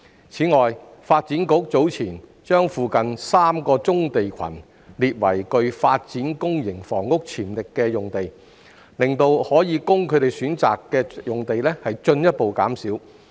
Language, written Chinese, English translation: Cantonese, 此外，發展局早前把附近3個棕地群列為具發展公營房屋潛力的用地，令可供他們選擇的用地進一步減少。, Moreover the shortlisting of three nearby brownfield clusters earlier on by the Development Bureau as sites having potential for public housing development has further reduced the number of sites available for their choice